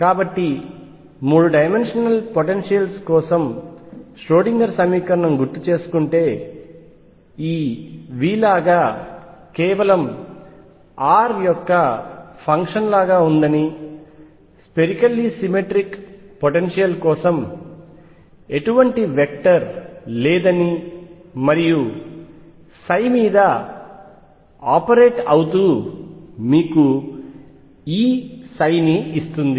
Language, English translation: Telugu, So, you recall that the Schrödinger equation for 3 dimensional potentials was like this V as a function of only r, no vector which is for the spherically symmetric potential and this operating on psi give you E psi